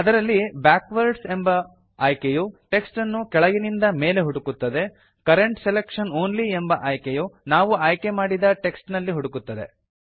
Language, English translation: Kannada, It has options like Backwards which searches for the text from bottom to top, Current selection only which searches for text inside the selected portion of the text